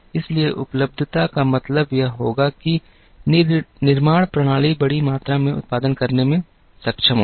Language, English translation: Hindi, So, availability would mean that, manufacturing systems have to look at being capable of producing in large quantities